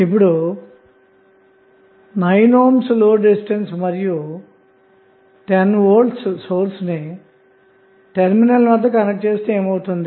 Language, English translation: Telugu, So, now suppose we have load of 9 ohm resistance and 10 ohm voltage connected across the terminal so what happens